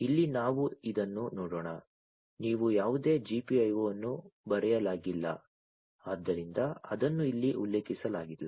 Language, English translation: Kannada, Let us look at this over here you do not find any GPIO written, right, so it is not mentioned over here